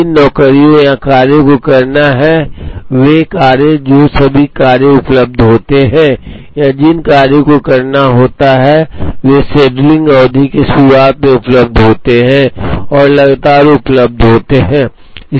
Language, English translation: Hindi, The jobs or tasks that have to be performed, the jobs that are available all the jobs that or tasks that have to be performed are available at the start of the scheduling period and are continuously available